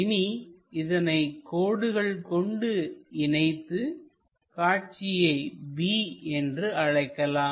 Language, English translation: Tamil, So, let us join that point and let us call b